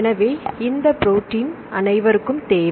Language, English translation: Tamil, So, we everybody needs this protein right